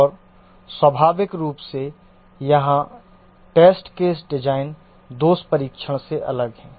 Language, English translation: Hindi, And naturally the test case designed here is different than the defect testing